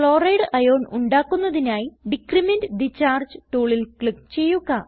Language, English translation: Malayalam, To form Chloride ion, click on Decrement the charge tool